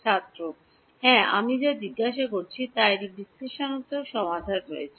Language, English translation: Bengali, Yeah, what I am asking is does it have an analytic solution